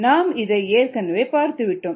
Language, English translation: Tamil, that we already seen